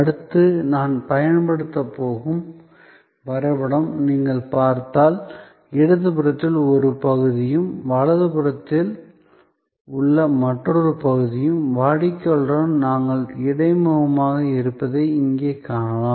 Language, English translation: Tamil, If you look at the diagram that I am going to use next, you can see here that there is a section, which is on the left hand side and another section, which is on the right hand side, where we are interfacing with the customer